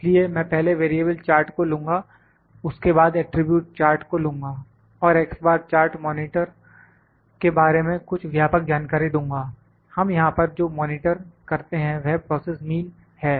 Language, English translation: Hindi, So, I will first take the variable charts, then I will take the attribute charts to give and broad information that this in this X bar chart monitor what be monitor here is the process mean